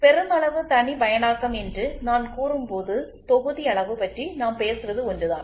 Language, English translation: Tamil, So, when I say mass customization the batch size what we are talking about is only one